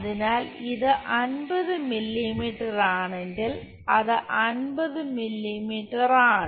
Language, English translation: Malayalam, So, that is 50 mm if this one is 50 mm